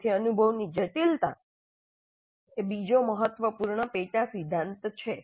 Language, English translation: Gujarati, So the complexity of the experience is another important sub principle